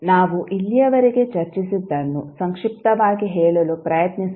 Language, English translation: Kannada, Let us try to summarize what we have discussed till now